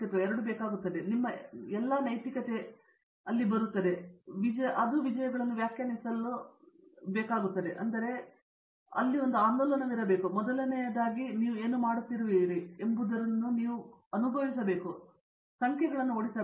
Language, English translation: Kannada, So, every all your ethics and everything come in there and the way we would like them to define successes rather than, then it should be ‘aha’ movement, first of all that is something which we except them feel good about what you are doing and do not chase numbers